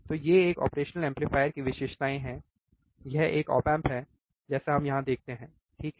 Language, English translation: Hindi, So, these are the characteristics of an operational amplifier, this is an op amp like we see here, right